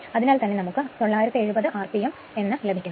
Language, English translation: Malayalam, So, it is coming 970 rpm right